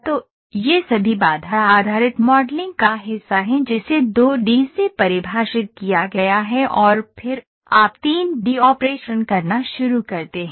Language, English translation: Hindi, So, these all are part of constraint based modeling which is defined from 2 D and then, you start doing a 3 D operations